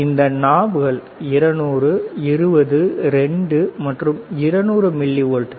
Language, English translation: Tamil, These are knobs 200, 20 2 right, 200 millivolts